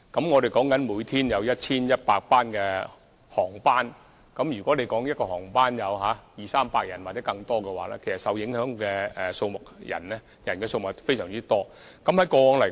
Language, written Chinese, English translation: Cantonese, 我們每天有 1,100 航班，如果一班航班有二三百人或更多的話，其實受影響人數是非常多的。, We have 1 100 flights each day . When there are 200 to 300 passengers in each flight the number of passengers affected will be very large